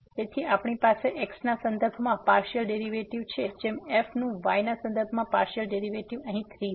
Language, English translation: Gujarati, So, we have the partial derivative with respect to as to partial derivative of with respect to here as 3